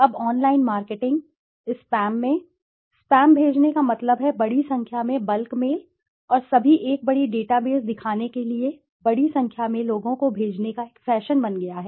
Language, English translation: Hindi, Now online marketing, in online marketing spam, sending spam means large number of bulk mails and all has become a fashion to send to large number of people to show a large database